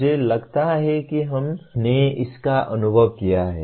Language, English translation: Hindi, I think all of us have experienced this